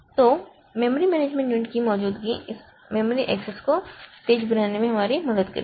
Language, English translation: Hindi, So, the presence of memory management unit will help us in making this memory access fast